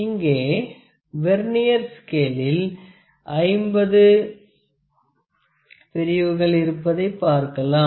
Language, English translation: Tamil, So, you can see that there are 50 divisions on the Vernier scale